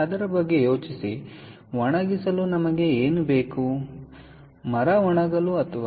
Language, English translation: Kannada, ok, think about it for drying